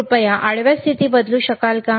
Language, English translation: Marathi, cCan you change the horizontal position please,